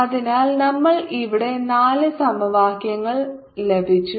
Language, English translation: Malayalam, so we have got four equations here